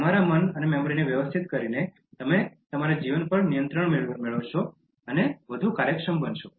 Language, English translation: Gujarati, By organizing your mind and memory, you will gain control of your life and become more efficient